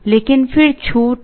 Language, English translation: Hindi, But then there is a discount